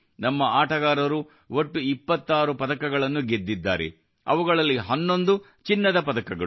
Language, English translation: Kannada, Our players won 26 medals in all, out of which 11 were Gold Medals